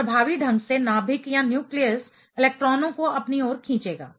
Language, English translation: Hindi, So, effectively nucleus will pull in the electrons towards it